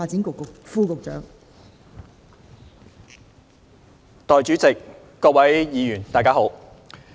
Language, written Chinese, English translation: Cantonese, 代理主席，各位議員，大家好。, Good afternoon Deputy President and Honourable Members